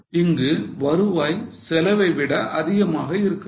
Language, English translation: Tamil, So, the revenue is more than the cost